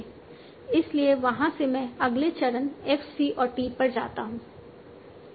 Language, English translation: Hindi, So from there I go to next step, F, C and T